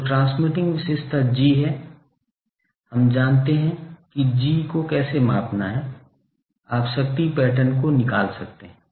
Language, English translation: Hindi, So, transmitting characteristic is G, we know how to measure G, you find the power pattern